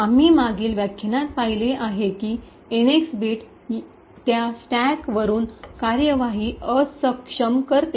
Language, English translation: Marathi, As we have seen in the previous lecture the NX bit would disable executing from that stack